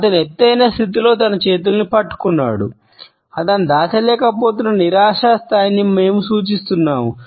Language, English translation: Telugu, He has clenched his hands in an elevated position, we suggest a level of frustration which he is unable to hide